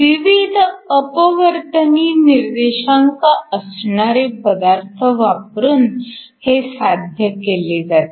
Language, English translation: Marathi, This is usually done by choosing materials with different refractive index